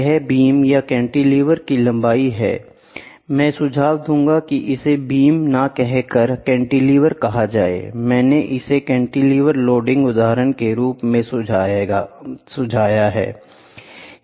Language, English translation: Hindi, So, here the length of the beam or the cantilever, I would suggest it not beam, I would suggest it as cantilever, cantilever loading example